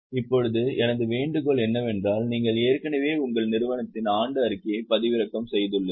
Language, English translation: Tamil, Now my request is you have already downloaded the annual report of your company